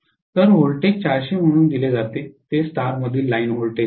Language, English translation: Marathi, So, what is given as the voltages is 400 is the line voltage in Star